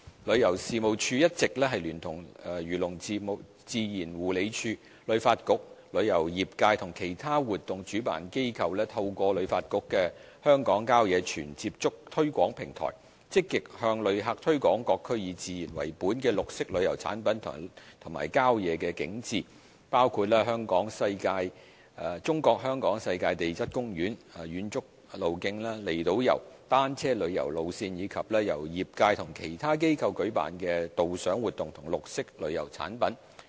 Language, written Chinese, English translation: Cantonese, 旅遊事務署一直聯同漁農自然護理署、旅發局、旅遊業界和其他活動主辦機構，透過旅發局的"香港郊野全接觸"推廣平台，積極向旅客推廣各區以自然為本的綠色旅遊產品及郊野景致，包括中國香港世界地質公園、遠足路徑、離島遊、單車旅遊路線，以及由業界或其他機構舉辦的導賞活動及綠色旅遊產品。, The Tourism Commission TC has all along collaborated with the Agriculture Fisheries and Conservation Department HKTB the tourism industry and other event organizers in using HKTBs Great Outdoors Hong Kong marketing platform to actively promote nature - based green tourism products and outdoor attractions to visitors . These include the Hong Kong UNESCO Global Geopark hiking trails outlying islands cycling trails as well as guided tours and green tourism products offered by the tourism industry and other organizations